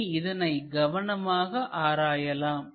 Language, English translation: Tamil, So, let us look at this carefully